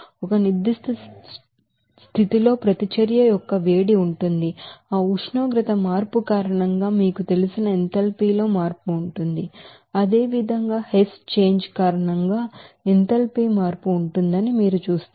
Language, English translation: Telugu, There will be a you know that heat of reaction at a certain condition where you can get that there will be a change of you know enthalpy because of that temperature change as well as you will see that there will be a enthalpy change because of Hess change